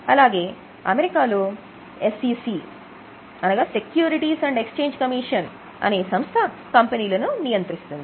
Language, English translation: Telugu, In US, there is a regulator called SEC, SEC, Securities and Exchange Commission